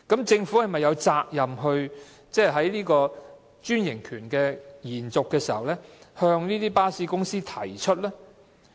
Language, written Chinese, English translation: Cantonese, 政府是否有責任在延續專營權時向巴士公司提出呢？, Is the Government not duty - bound to raise this issue with the bus companies in renewing their franchise?